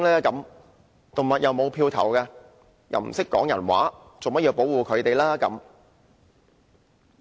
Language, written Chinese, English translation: Cantonese, 動物既不能投票，又不懂說人話，為何要保護牠們呢？, Since animals cannot vote and cannot speak our language why do we have to protect them?